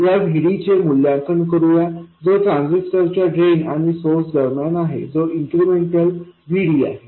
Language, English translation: Marathi, Let's evaluate this VD which appears between the drain and source of the transistor, that is the incremental VD